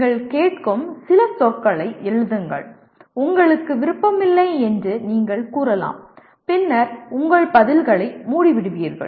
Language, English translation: Tamil, Write a few words that you listen to, you may say you are not interested and then you shut your responses